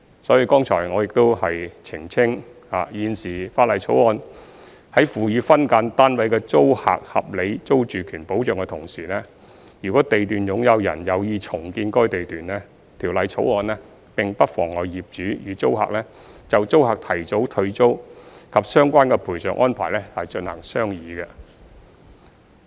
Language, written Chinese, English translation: Cantonese, 所以剛才我亦澄清，現時《條例草案》在賦予分間單位的租客合理租住權保障的同時，如地段擁有人有意重建該地段，《條例草案》並不妨礙業主與租客就租客提早退租及相關的賠償安排進行商議。, Therefore I also clarified just now that while providing reasonable security of tenure to SDU tenants the Bill does not obstruct the landlord and tenants from entering into negotiations on early surrendering of the tenancy and the related compensation arrangements if the owner of a lot intends to redevelop the lot